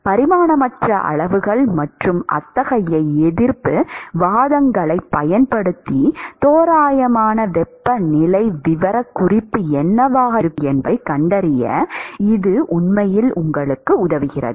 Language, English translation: Tamil, And using dimensionless quantities and such resistance arguments, it actually helps you to come up with what is going to be the approximate temperature profile